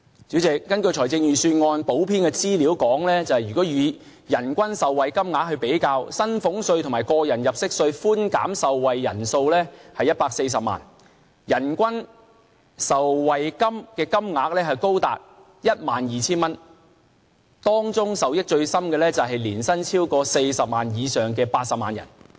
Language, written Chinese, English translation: Cantonese, 主席，根據預算案補編的資料顯示，如以人均受惠金額來比較，薪俸稅和個人入息稅的寬減受惠人數是140萬，人均受惠金額高達 12,000 元，當中受益最深的是年薪超過40萬元以上的80萬人。, Chairman according to the supplement of the budget if we compare the amount of benefits each person will receive the per - capita benefits will be 12,000 as about 1.4 million people will enjoy the tax concession under the salaries tax and tax under personal assessment . The most benefited group is the 800 000 people who are earning a salary more than 400,000year